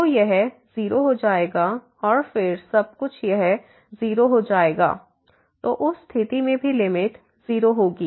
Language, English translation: Hindi, So, this will become 0 and then everything will become this 0, so limit will be 0 in that case also